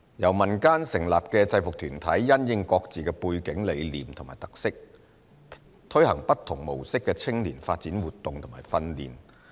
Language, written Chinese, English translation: Cantonese, 由民間成立的制服團體因應各自的背景、理念及特色，推行不同模式的青年發展活動和訓練。, UGs implement diverse youth development activities and trainings having regard to their own background vision and characteristics